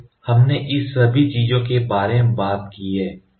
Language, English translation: Hindi, So, we have talked about all this things where R